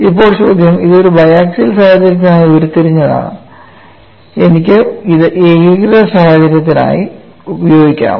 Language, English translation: Malayalam, Now the question is this is generated for a biaxial situation, can I use it for uniaxial situation